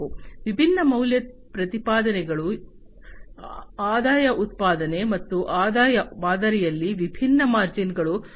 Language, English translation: Kannada, The different value propositions, the revenue generation, and what are the different margins in that revenue model